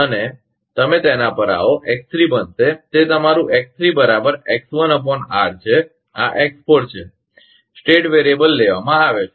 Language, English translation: Gujarati, You come to that, X3 will become, that is your X1upon R and this is X4; state variable is taken